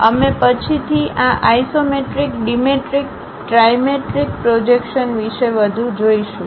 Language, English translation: Gujarati, We will see more about these isometric, dimetric, trimetric projections later